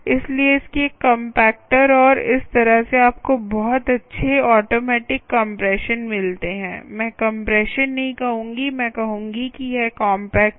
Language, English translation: Hindi, so its compactors, and thats how you get a lot of nice compression, automatic compression, because it is no, i would not say compression